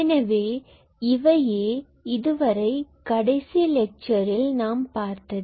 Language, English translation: Tamil, So, that was up until the last lecture